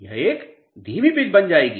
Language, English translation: Hindi, It will become a slow pitch